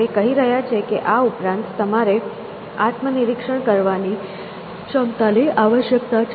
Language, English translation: Gujarati, He is saying that in addition to that, you need this capability to introspect essentially